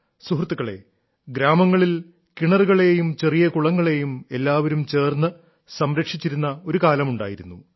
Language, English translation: Malayalam, there was a time when in villages, people would collectively look after wells and ponds